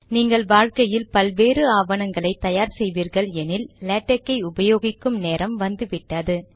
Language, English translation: Tamil, If you are going to create many documents in the rest of your life, it is time you started using Latex